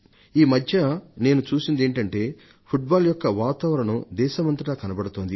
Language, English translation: Telugu, And these days I have noticed that a conducive atmosphere for Football can be seen in the whole country